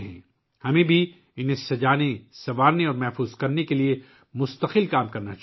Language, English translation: Urdu, We should also work continuously to adorn and preserve them